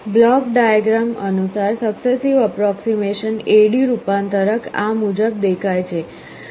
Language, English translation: Gujarati, Block diagram wise this is how a successive approximation A/D converter looks like